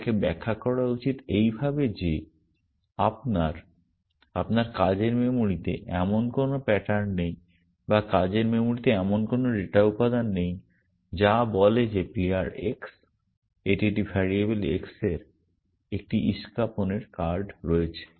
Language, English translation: Bengali, It should be interpreted as saying that there is no such pattern in your, in your working memory or there is no such data element in the working memory which says that player x, this is a variable x has a card of spades